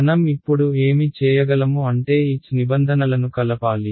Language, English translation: Telugu, And what I can do now is I can combine the H terms right